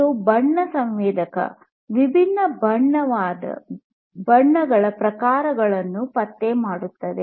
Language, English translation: Kannada, This is basically the color sensor; it can detect colors, different types of colors